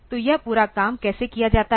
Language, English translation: Hindi, So, how this whole thing is done